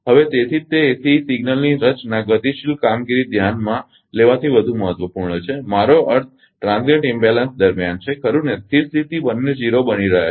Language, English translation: Gujarati, So, that is why that composition of ACE signal is more important from dynamic performance consideration I mean during transient imbalance, right a steady state both are becoming 0